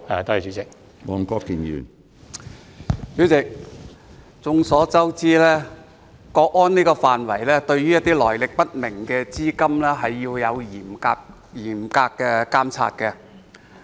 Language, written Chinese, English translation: Cantonese, 主席，眾所周知，為維護國家安全，須對來歷不明的資金進行嚴密監察。, President as we all know in order to safeguard national security the Government is required to closely monitor the flow of capital of unknown origin